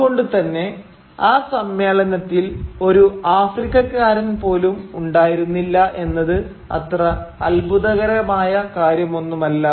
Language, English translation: Malayalam, Therefore, it is not entirely surprising that no African representative was present there at the conference